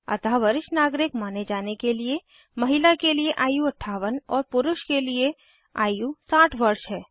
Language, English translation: Hindi, So for female it is 58 and for men it is 60 to be considered as senior citizens